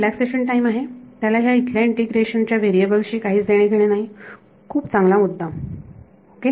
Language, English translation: Marathi, tau naught is a relaxation time that has nothing to do with this variable of integration over here yeah good point ok